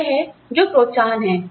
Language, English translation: Hindi, So, that is what, incentives are